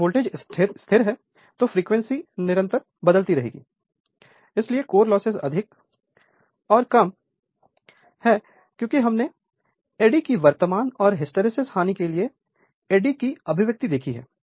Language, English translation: Hindi, If voltage is constant frequency is constant so, core loss is more or less constant because we have seen eddy expression for eddy current and hysteresis loss